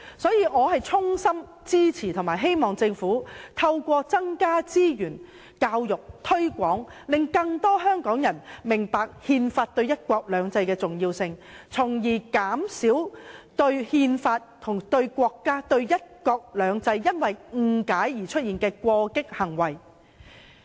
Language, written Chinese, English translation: Cantonese, 所以，我也衷心支持及希望政府透過增加資源、教育、推廣，令更多香港人明白憲法對"一國兩制"的重要性，從而減少因對憲法、國家和"一國兩制"有所誤解而出現的過激行為。, Hence I sincerely support the Government to increase resources which is also our hope to step up education and publicity to facilitate the people of Hong Kong in understanding the importance of the Constitution to the implementation of one country two systems so as to reduce radical behaviour resulting from misunderstanding of the Constitution the State and one country two systems